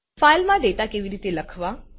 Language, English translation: Gujarati, How to write data into a file